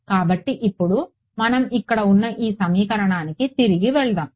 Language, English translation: Telugu, So now, let us go back to this equation that we have over here